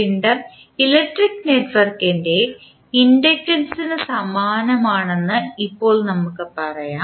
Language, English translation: Malayalam, Now, we can also say that mass is analogous to inductance of electric network